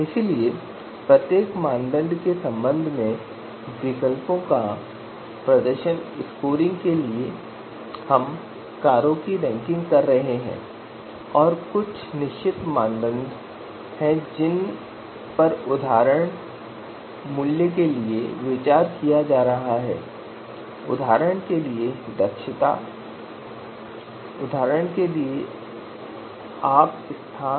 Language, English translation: Hindi, So performance scoring of alternatives with respect to each criteria so if we are doing ranking of cars and there are certain you know you know criteria that are being considered for example price, for example efficiency, for example you know space